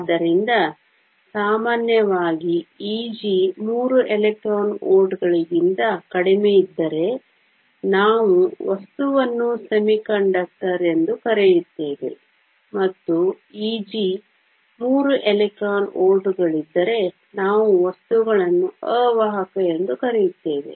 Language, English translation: Kannada, So, typically if E g is less than three electron volts we call a material as semiconductor, and if E g is greater 3 electron volts we call the materials and insulator